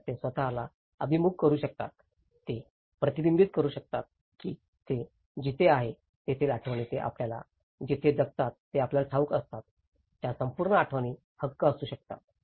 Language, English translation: Marathi, So, they can orient themselves, they can reflect that the memories where they belong to, where they used to live you know, that whole memories could be entitlement